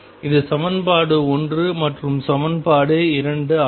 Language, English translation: Tamil, This is equation 1 this is equation 2